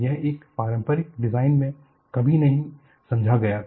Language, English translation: Hindi, See, this was never understood in conventional design